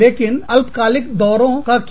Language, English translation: Hindi, But, what about short term visit